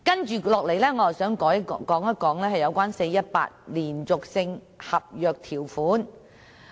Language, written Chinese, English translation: Cantonese, 接下來，我想談談 "4-18" 連續性合約條款。, Next I would like to talk about the 4 - 18 continuous contract term